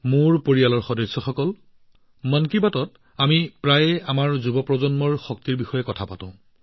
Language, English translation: Assamese, My family members, in episodes of 'Mann Ki Baat', we often discuss the potential of our young generation